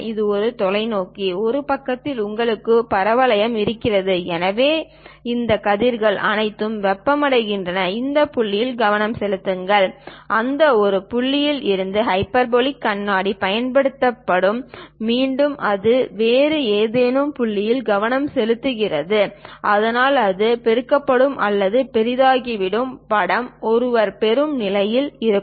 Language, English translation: Tamil, This is a telescope, on one side you will have a parabola; so all these rays comes heats that, focus to one point and from that one point hyperbolic mirror will be used, again it will be focused at some other point so that it will be amplified or enlarged image one will be in position to get